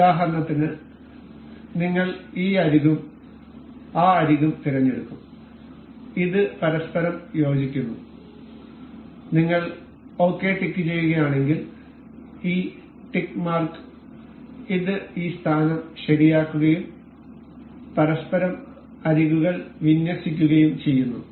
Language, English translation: Malayalam, For instance we will select this edge and this edge, this coincides with each other and if we click tick ok, this tick mark it fixes this position as and aligns edges with each other